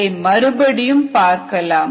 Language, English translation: Tamil, let us revisit that